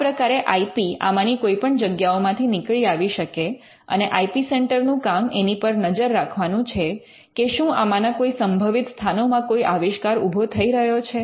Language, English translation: Gujarati, So, IP could come out of any of these places and this is where the IP centre will be monitoring to see whether any invention is coming out of these avenue